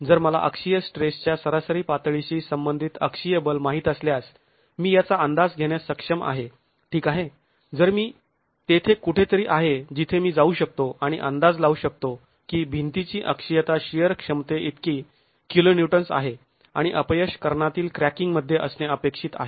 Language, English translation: Marathi, If I know the axial force corresponding to the average level of axial stress, I will be able to estimate, okay, so I am somewhere there, I can go and estimate that the axial, the shear capacity of the wall is so much kiloons and the failure is expected to be in diagonal cracking